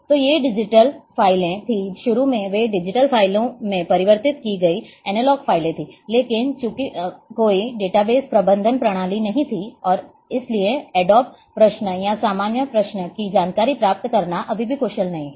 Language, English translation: Hindi, So, this though there were these were the digital files, initially they were analogue files converted into digital files, but since there were no database management system and therefore, the query adobe queries or regular queries retrieving information was still not efficient